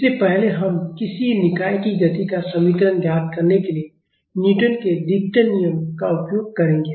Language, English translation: Hindi, So, first we will make use of Newton’s second law to find equation of motion of a system